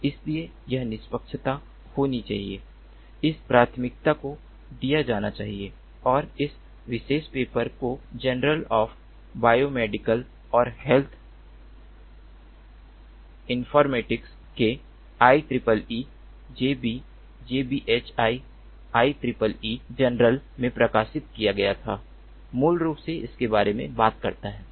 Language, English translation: Hindi, so that fairness has to happen, that priority has to be given, and this particular paper, which was published in the i triple e jb, jbhi i triple e journal of biomedical and health informatics, basically talks about it